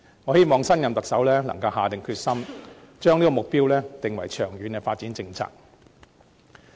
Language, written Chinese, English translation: Cantonese, 我希望新任特首能夠下定決心，將這個目標訂為長遠的發展政策。, I hope the new Chief Executive will have the determination to formulate long - term development policy for meeting such a target